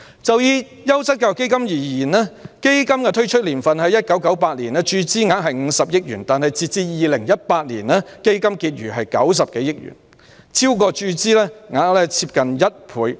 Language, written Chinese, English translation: Cantonese, 就優質教育基金而言，基金的推出年份是1998年，注資額是50億元，但截至2018年，基金結餘為90多億元，超過注資額接近1倍。, The Quality Education Fund was launched in 1998 and the capital injection was 5 billion . But as of 2018 the fund balance was more than 9 billion more than double the amount of capital injection